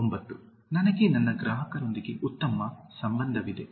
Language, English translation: Kannada, 9) I have good relations with my customers